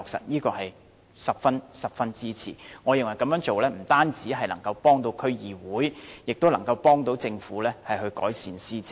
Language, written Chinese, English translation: Cantonese, 我對此十分支持，我認為這樣做不單可以幫助區議會，亦能協助政府改善施政。, I fully support this . In my view not only can this approach help DCs but also assist the Government in improving its administration